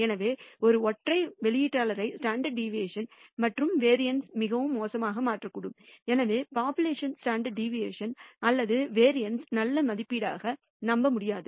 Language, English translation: Tamil, So, a single outlier can cause the standard deviation and the variance to become very poor and therefore cannot be trusted as a good estimate of the population standard deviation or variance